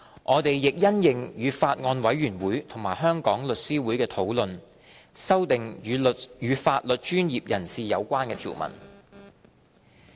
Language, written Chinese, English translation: Cantonese, 我們亦因應與法案委員會和香港律師會的討論，修訂與法律專業人士有關的條文。, Furthermore in the light of the discussions with the Bills Committee and The Law Society of Hong Kong we have amended the provisions in relation to a legal professional